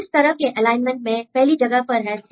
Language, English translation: Hindi, So, if you make this type of alignment first one is C